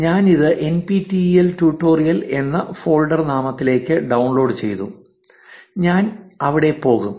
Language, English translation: Malayalam, I have downloaded it to a folder name NPTEL tutorial and I will go there